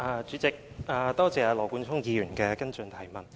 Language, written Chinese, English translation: Cantonese, 主席，多謝羅冠聰議員的補充質詢。, President I thank Mr Nathan LAW for his supplementary question